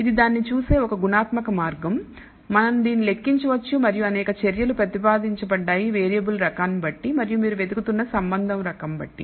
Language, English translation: Telugu, This is a qualitative way of looking at it, we can quantify this and there are several measures that have been proposed depending on the type of variable and the kind of association you are looking for